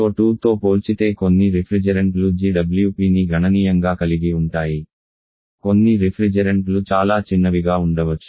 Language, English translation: Telugu, Certain refrigerants have significantly high of GWP compared to CO2 certain refrigerants may have a quite small